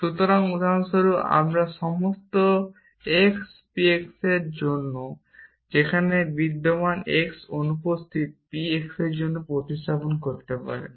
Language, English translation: Bengali, So, for example, you can replace for all x p x with there exist x naught p x and likewise it exist naught exist x p x equivalent to for all x naught p x